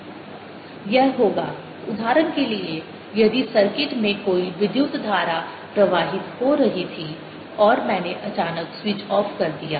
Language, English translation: Hindi, this would happen, for example, if in the circuit there was a current flowing and i suddenly took switch off